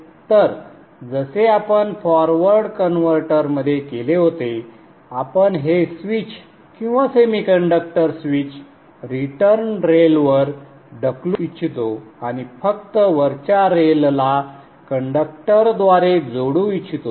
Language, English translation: Marathi, So like we did in the forward converter we would like to push this switch power semiconductor switch to the return rail and just connect the top rail that is a positive rail by a conductor